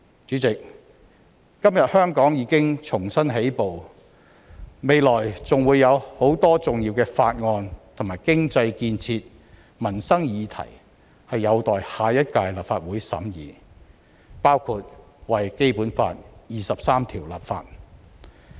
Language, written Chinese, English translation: Cantonese, 主席，今天香港已經重新起步，未來還會有很多重要的法案，以及經濟建設和民生議題有待下一屆立法會審議，包括為《基本法》第二十三條立法。, President Hong Kong has made a fresh start today and there will be so many essential bills and issues on economic development and peoples livelihoods for deliberation by the next - term Legislative Council in the future including the enactment of legislation for Article 23 of the Basic Law